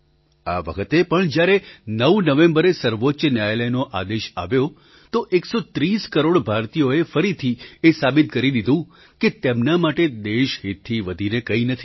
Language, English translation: Gujarati, This time too, when the Supreme Court pronounced its judgment on 9th November, 130 crore Indians once again proved, that for them, national interest is supreme